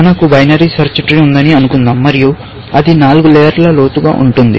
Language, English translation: Telugu, Let us assume that we have binary search tree, and it is 4 ply deep